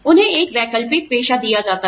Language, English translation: Hindi, They are given an alternative profession